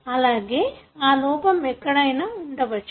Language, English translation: Telugu, Likewise, it could have defect elsewhere